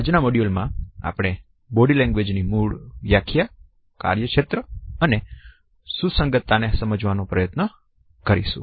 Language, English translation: Gujarati, In today’s module, we would try to understand the basic definitions of body language, the scope and relevance